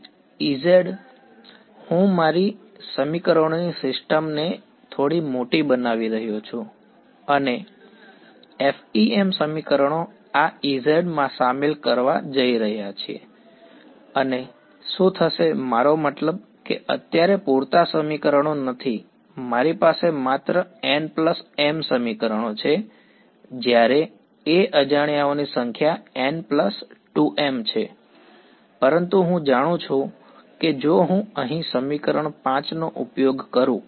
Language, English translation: Gujarati, E z so, I am making my system of equations a little bit larger right and the FEM equations are going to involve this E z fellows right and what happens to I mean there are not enough equations right now, I only have n plus m equations whereas a number of unknowns is n plus